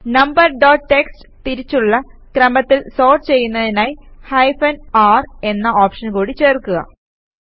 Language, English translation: Malayalam, To sort number dot txt in reverse order add an option of hyphen r